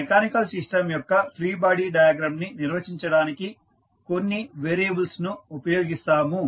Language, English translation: Telugu, The variable which we will use to define free body diagram of this mechanical system